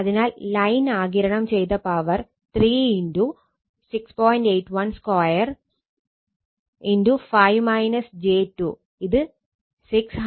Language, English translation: Malayalam, So, this real power absorbed by line is 695